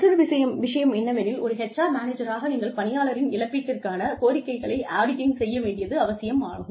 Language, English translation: Tamil, The other thing is, it is absolutely essential, as an HR manager for you, to audit the claims of worker